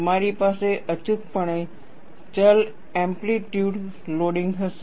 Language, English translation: Gujarati, You will invariably have, variable amplitude loading